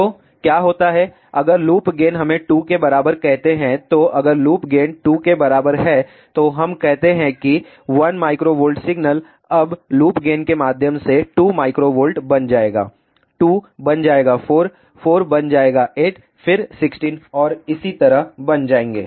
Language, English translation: Hindi, So, what happens, now if loop gain is let us say equal to 2, so if the loop gain is equal to 2, let us say that 1 microvolt signal, now through the loop gain will become, now 2 microvolt, 2 will become 4, 4 will become 8, then 16 and so on